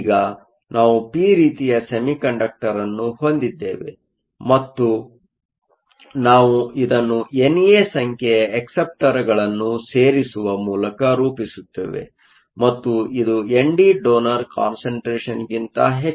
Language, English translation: Kannada, So, Now, we have a p type semiconductor and we do this by adding acceptors N A and this must be greater than the donor concentration n d